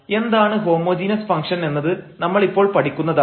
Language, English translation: Malayalam, So, what are the homogeneous functions we will learn now